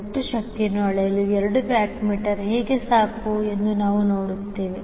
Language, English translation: Kannada, So we will also see that how two watt meter is sufficient to measure the total power